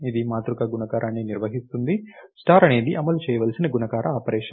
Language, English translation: Telugu, The place it will for perform matrix multiplication, the star is the operation of multiplication time into perform